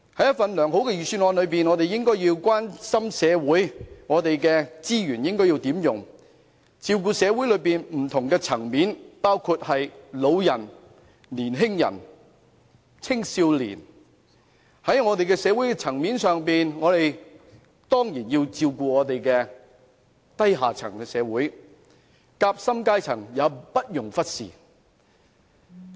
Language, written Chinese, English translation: Cantonese, 一份良好的預算案，應該關心社會上資源如何運用，照顧社會的不同層面，包括長者和青少年，當然亦要照顧低下階層，而夾心階層也不容忽視。, A good budget should focus on how resources are distributed in society to take care of various social strata including the elderly and the youth the grass roots certainly and the sandwich class should not be neglected as well